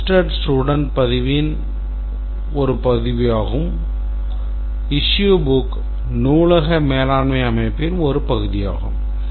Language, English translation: Tamil, Print inventory is part of some inventory functionality